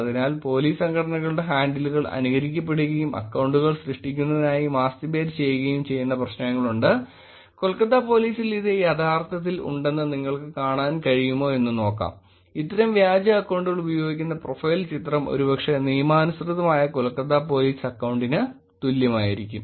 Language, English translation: Malayalam, Therefore, there are these kind of problems where Police Organizations handles have been mimicked, mastibated to create accounts and see if you can see it actually has at Kolkata Police; the profile picture that it is using is probably the same as a legitimate Kolkata Police account also